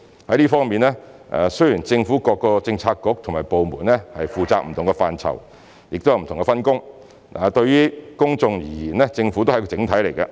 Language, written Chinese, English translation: Cantonese, 在這方面，雖然政府各政策局和部門負責不同的範疇，有不同的分工，但對於公眾而言，政府是一個整體。, In this regard although different Policy Bureaux and departments take charge of different portfolios under the division of duties and responsibilities the public see the Government as a collective entity